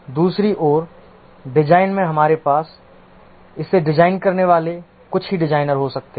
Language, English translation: Hindi, On the other hand, in design we can have only few designers designing it